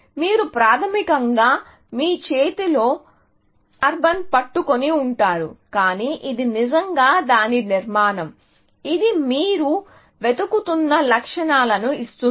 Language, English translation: Telugu, You, basically, holding carbon in your hand, but it is really the structure of it, which gives it the properties that you looking for